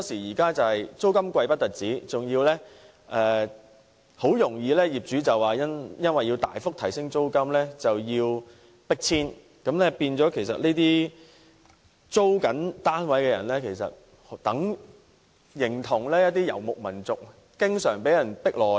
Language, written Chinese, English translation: Cantonese, 再者，除了捱貴租外，他們很多時更會因業主大幅提高租金而被迫遷，令這些租住單位的人士，形同遊牧民族經常被迫遷。, Moreover apart from paying high rents very often they may be forced to move as they cannot afford the drastic rent increase . These families are like nomads having to move from one place to another